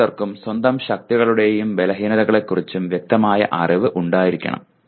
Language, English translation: Malayalam, Everyone should have clear knowledge about one’s own strengths and weaknesses